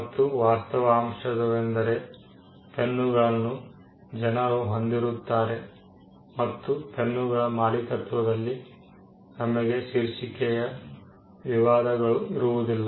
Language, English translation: Kannada, And the fact that pens are possessed by people, we do not have title disputes with regard to ownership of pens